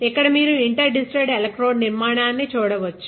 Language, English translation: Telugu, Now, you can see the interdigitated electrode structure here